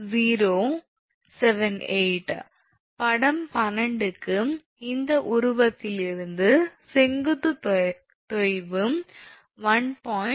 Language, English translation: Tamil, 078, for figure 12, from this figure therefore, vertical sag will be 1